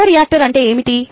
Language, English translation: Telugu, now, what is a bioreactor